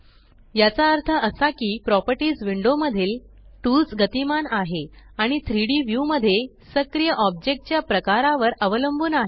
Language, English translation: Marathi, This means that the tools in the Properties window are dynamic and depend on the type of active object in the 3D view